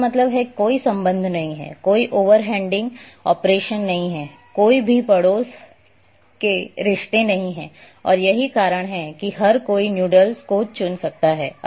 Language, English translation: Hindi, So,that means, there is no relationship, no over heading operation, no over neighbourhood relationships existing and that is why individual noodles can be picked